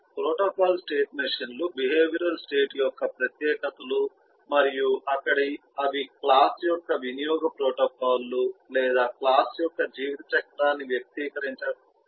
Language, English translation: Telugu, protocol state machines are a specializations of the behavioral state machine and there they are used to express the usage protocol or lifecycle of a class